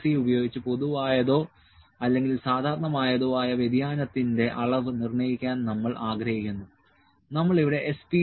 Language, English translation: Malayalam, C, we would like to determine the amount of variation that is common or normal, we use S